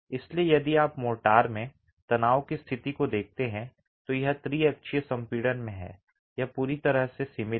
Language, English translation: Hindi, So if you look at the state of stress in the motor, it's in triaxial compression